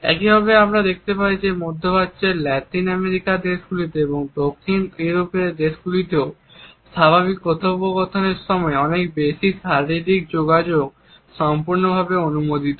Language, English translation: Bengali, In the same way we find that in Middle East in Latin American countries and in Southern European countries also a lot more physical contact during normal conversations is perfectly permissible